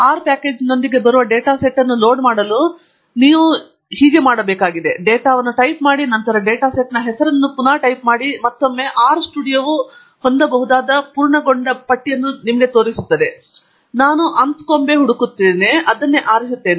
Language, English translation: Kannada, To load a data set that comes with the R package, all you have to do is, type data, and then type the name of the data set, and once again R studio shows the list of the completions that one can have, and Anscombe is the one that I am looking for, and I choose that